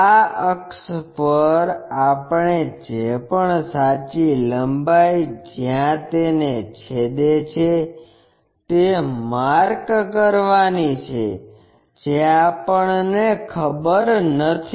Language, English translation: Gujarati, On this axis, we have to mark whatever the true length where it is going to intersect it which we do not know